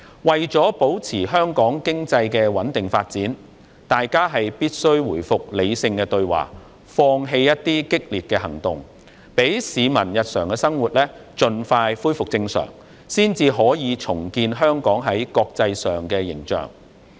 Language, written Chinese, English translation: Cantonese, 為了保持香港經濟穩定發展，大家必須回復理性對話，放棄激烈的行動，讓市民日常的生活盡快恢復正常，才可以重建香港在國際上的形象。, To maintain the steady economic development in Hong Kong we must resume rational dialogue and give up radical actions so that the peoples daily life can resume normal as soon as possible . Only then can the international image of Hong Kong be rebuilt . The tourism industry of Hong Kong may suffer a hard time